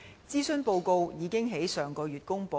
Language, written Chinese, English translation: Cantonese, 諮詢報告已於上月公布。, The consultation report was released last month